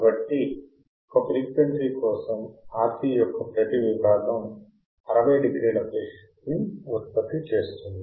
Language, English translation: Telugu, So, for a frequency each section of RC produces a phase shift of 60 degree